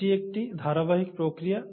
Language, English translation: Bengali, So it is a continuous process